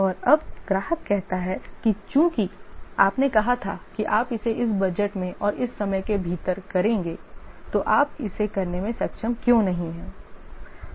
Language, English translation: Hindi, And now the customer says that since you said that you will do within this budget and within this time, why you are not able to do it